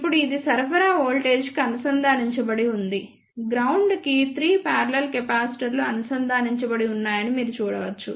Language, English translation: Telugu, Then this is now connected to the supply voltage, you can see that there are 3 parallel capacitors connected to the ground